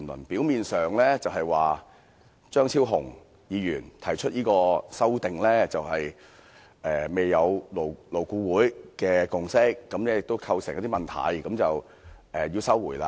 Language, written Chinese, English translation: Cantonese, 表面上的理由是張超雄議員提出的修正案在勞工顧問委員會未有共識，亦構成一些問題，所以要撤回《條例草案》。, On the face of it the Government claimed that since no consensus had been reached on Dr Fernando CHEUNGs amendments by LAB and his amendments had created some problems it had to withdraw the Bill